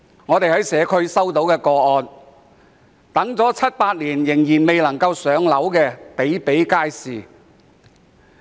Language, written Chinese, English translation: Cantonese, 我們在社區接觸到不少個案，當中輪候七八年仍然未能"上樓"的個案比比皆是。, We have come across many cases in the community where people have waited seven to eight years but still have not been allocated public housing